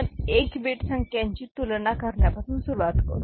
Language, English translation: Marathi, So, we begin with 1 bit magnitude comparison